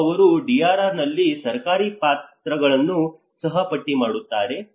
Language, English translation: Kannada, And they also list out the government roles in DRR